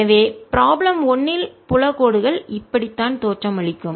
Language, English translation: Tamil, so this is how the field lines like look in problem one